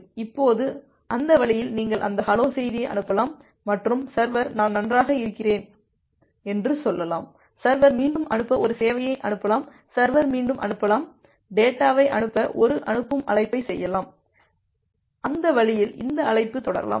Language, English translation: Tamil, Now that way, you can send that hello message and the server can say I am fine, server can again make a send call to send server can again make a send call to send for the data and that way this call can go on